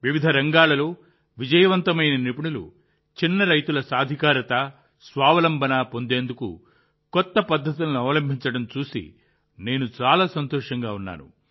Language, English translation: Telugu, I feel very happy to see that successful professionals in various fields are adopting novel methods to make small farmers empowered and selfreliant